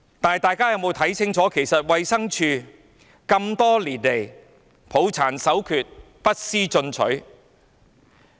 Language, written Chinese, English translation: Cantonese, 但大家有沒有看清楚，衞生署這麼多年來抱殘守缺，不思進取。, But have we not seen clearly that the Department of Health DH has pandered to outworn beliefs and practices not bothering to make improvement over the years?